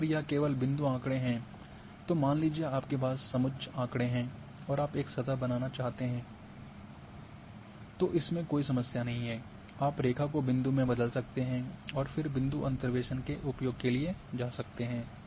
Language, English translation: Hindi, And if it is only point data and your having say contour data and you want to create a surface no problem you can convert line to point and then point can go for interpolation